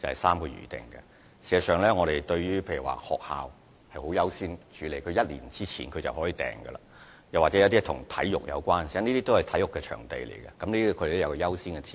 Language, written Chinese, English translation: Cantonese, 事實上，舉例而言，學校是會獲得優先處理的，可以在1年前申請預訂；與體育有關的活動亦然，因為這些都是體育場地，這些活動都有其優先次序。, In fact for instance applications from schools will be given a higher priority and schools can submit applications one year in advance; the same arrangement applies to sports - related activities because these are sports venues and such activities are given a higher priority